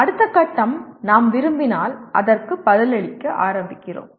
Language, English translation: Tamil, And then next stage is, if we like it, we start responding to that